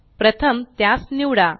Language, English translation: Marathi, So, first select it